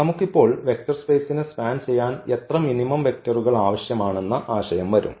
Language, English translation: Malayalam, Then we will come up with the idea now that how many actual minimum vectors do we need so, that we can span the given vector space